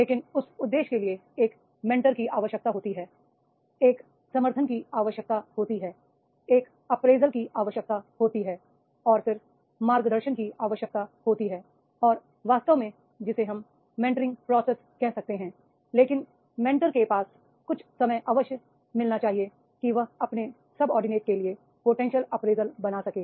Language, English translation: Hindi, But for that purpose, a mentor is required, a support is required, an appraisal is required, and then there is guidance is required and this all actually this is a mentoring process we can say but for a mentor should spare some time to make the potential appraisal for his subordinates